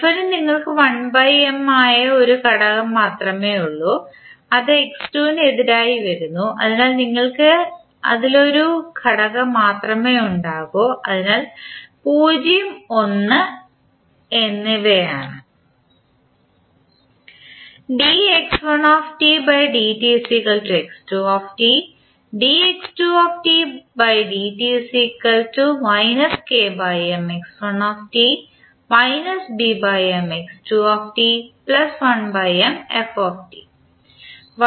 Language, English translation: Malayalam, For f you have only one element that is 1 by M which is coming against x 2 dot, so you will have only one element in that, so that is 0 and 1